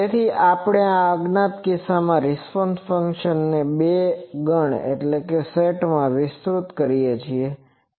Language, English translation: Gujarati, So, what we do this unknown response function g we expand in a basis set